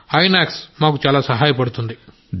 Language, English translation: Telugu, Inox helps us a lot